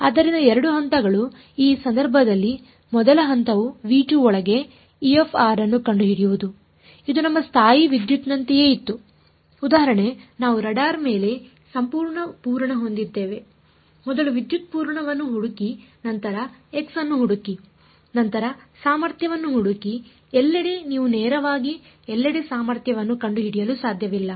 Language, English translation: Kannada, So, the 2 steps are in this case the first step is find E of r inside v 2, this was like our electrostatic example we had of the charge on the rod first find the charge then find the potential everywhere you cannot directly find the potential everywhere